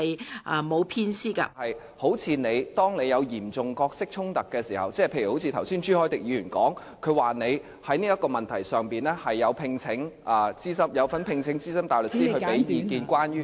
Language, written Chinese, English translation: Cantonese, 雖然《議事規則》沒有明文規定當你有嚴重角色衝突的時候，例如好像朱凱廸議員剛才說你在這個問題上有聘請資深大律師提供意見，關於......, What does this mean? . Although RoP does not expressly address your problem of having seriously conflicting roles such as the fact that you have engaged a senior counsel to give advice on this issue as Mr CHU Hoi - dick has just point out